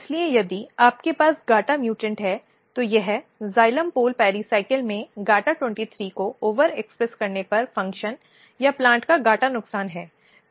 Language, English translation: Hindi, So, if you have gata mutant, this is gata loss of function and this when you over expressing GATA23 in xylem pole pericycle